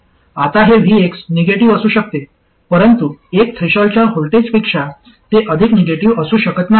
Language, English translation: Marathi, Now this VX could be negative but it cannot be more negative than one threshold voltage